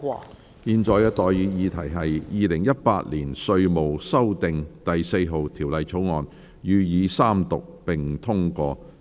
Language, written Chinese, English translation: Cantonese, 我現在向各位提出的待議議題是：《2018年稅務條例草案》予以三讀並通過。, I now propose the question to you and that is That the Inland Revenue Amendment No . 4 Bill 2018 be read the Third time and do pass